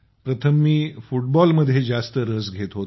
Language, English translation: Marathi, Earlier we were more into Football